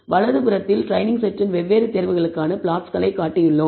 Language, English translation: Tamil, Of course on the right hand side we have shown plots for different choices of the training set